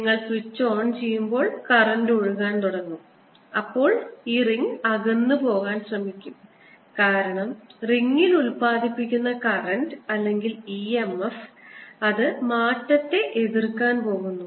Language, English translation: Malayalam, as soon as you will see, as you switch on the switch so that the current starts flowing, the ring in this will try to go away, because the current generated, or e m f generated in the ring is going to be such that it's going to oppose the change